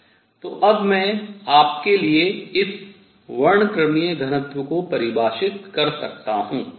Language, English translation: Hindi, What I want to define now is something called spectral density